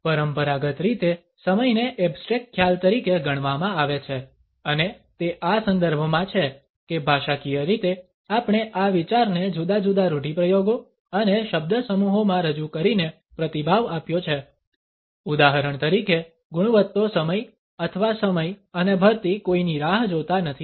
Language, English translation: Gujarati, Conventionally time has been treated as an abstract concept and it is in this context that linguistically we have responded to this idea, representing it in different idioms and phrases for example, quality time or time and tide wait for none